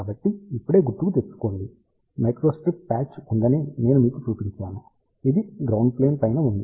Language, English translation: Telugu, So, just recall now I showed you there is a microstrip patch, which is on top of the ground plane